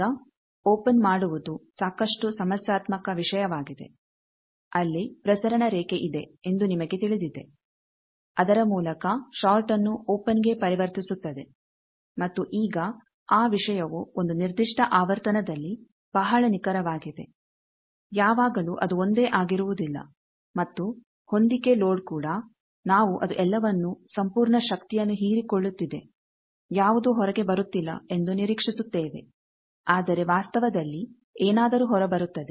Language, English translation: Kannada, Now making a open is quite a problematic thing you know there is a transmission line by which actually convert a short to an open and now that thing is very precise at a particular frequency, always it is not same and match load also that we except it is a absorbing the whole thing, whole power nothing is coming out, but in reality something comes out